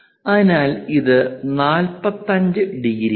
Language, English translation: Malayalam, So, this is 45 degrees